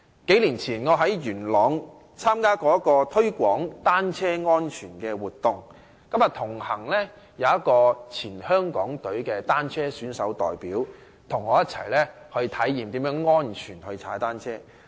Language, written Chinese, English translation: Cantonese, 數年前，我在元朗參加了一個推廣單車安全的活動，同行有一位前港隊的單車選手代表，他與我一起體驗如何安全踏單車。, In an activity held in Yuen Long a couple of years ago to promote cycling safety I was joined by a former member of the Hong Kong national cycling team to experience safe cycling